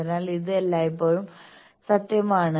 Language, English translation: Malayalam, So, this is always true